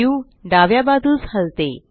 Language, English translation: Marathi, The view rotates to the left